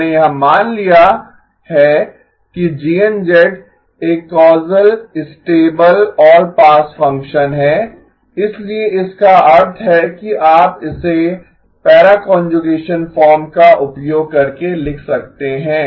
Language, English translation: Hindi, We have assumed that GN of z is a causal stable all pass function, so which means you can write it in the using the para conjugation form